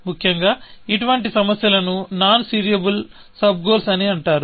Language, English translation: Telugu, Such problems are called non serializable sub goals, essentially